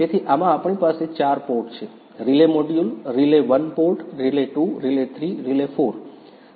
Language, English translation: Gujarati, So, in this one we have four port; relay module, relay 1 port, relate 2, relay 3, relay 4